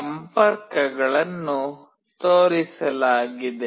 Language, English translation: Kannada, The connections are shown